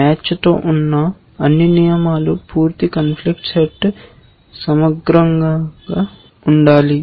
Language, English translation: Telugu, All the rules with match, the complete set must be, this conflict set must be exhaustive